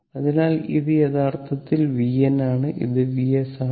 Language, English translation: Malayalam, So, this is actually v n and this is your v s